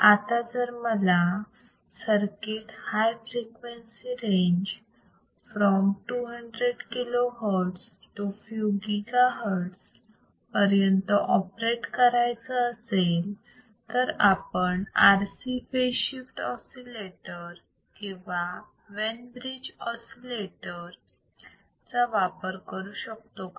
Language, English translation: Marathi, Now if I want to operate or if I want to use the circuit in a high frequency range from 200 kilo hertz to few gigahertz can I use the similar RC phase shift oscillator or Wein bridge oscillators